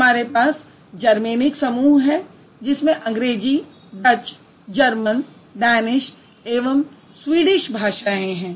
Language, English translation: Hindi, We have Germany group which includes languages like English, Dutch, German, Danish and Swedish